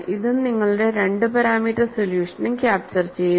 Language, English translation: Malayalam, This is also captured by your 2 parameter solution